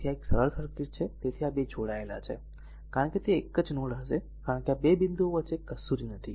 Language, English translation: Gujarati, So, these 2 are combined, because it will be a single node because nothing is there in between these 2 points